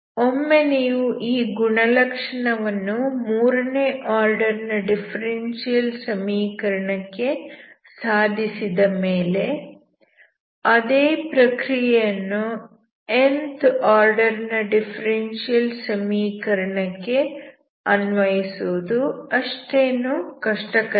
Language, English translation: Kannada, So once you prove this property for third order differential equation, then for nth order differential equation it’s not difficult you can follow the same procedure instead of working with 3 by 3 system, you will have to work with n by n system